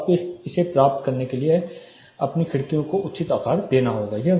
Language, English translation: Hindi, So, you have to size your windows appropriately in order to get this